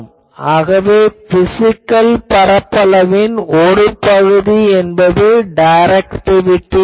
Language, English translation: Tamil, So, some factor of that physical area will be the directivity